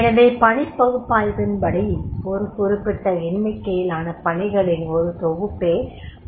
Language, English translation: Tamil, So the task analysis that when the number of tasks they are converted into a job